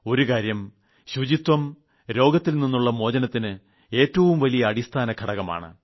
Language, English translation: Malayalam, Cleanliness is one of the strongest protections from disease